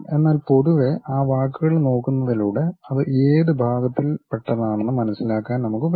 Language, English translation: Malayalam, But in general, by looking at those words we will be in new position to really sense which part it really belongs to